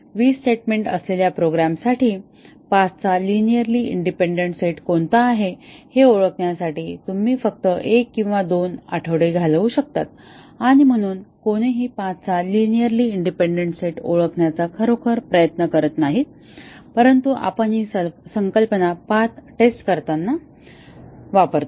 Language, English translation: Marathi, You can spend 1 or 2 weeks just to identify what are the linearly independent set of paths for a program with 20 statements and therefore, nobody really tries to identify linearly independent set of paths, but we use this concept in doing the path testing